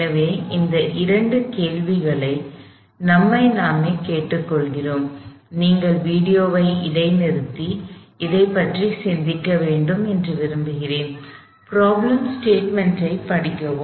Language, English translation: Tamil, These are the two questions we ask ourselves, I want you to pass the video and think about this, read the problem statement